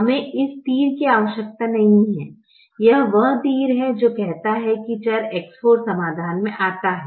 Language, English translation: Hindi, this is the arrow which says that variable x four comes into the solution